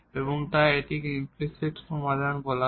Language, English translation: Bengali, And therefore, this is called the implicit solution